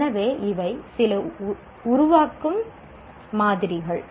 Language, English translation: Tamil, So these are some create samples